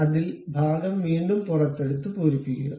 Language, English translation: Malayalam, On that, again extrude the portion and fill it